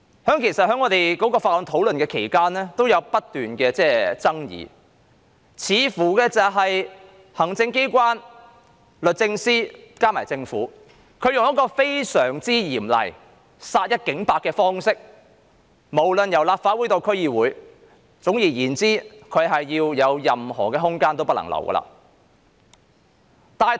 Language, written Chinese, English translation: Cantonese, 在《條例草案》審議期間爭議不斷，因為行政機關、律政司和政府採用非常嚴厲的方式，意圖殺一儆百，無論是立法會或區議會，總之不留任何空間。, There were incessant disputes in the scrutiny process of the Bill because the executive authorities the Department of Justice and the Government have adopted very stringent approach with the intention of punishing one person to deter all others . Be it the Legislative Council or DC no room has been left